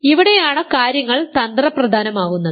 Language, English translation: Malayalam, So, this is where things get tricky